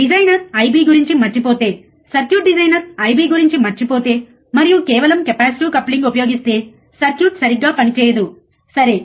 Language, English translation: Telugu, Ah so, if the designer forgets simply forgets about I B, if the circuit designer he forgets about the I B, and uses just a capacitive coupling the circuit would not work properly, right